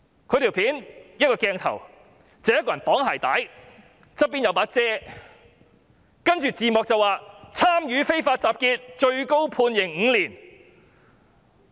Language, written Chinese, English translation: Cantonese, 在短片中，鏡頭拍攝着一個人在綁鞋帶，身旁有一把雨傘，字幕寫上"參與非法集結最高判刑5年"。, In the film we see someone tying his shoelaces and on his side an umbrella . The caption reads Taking Part in an Unlawful Assembly Maximum Penalty Five Years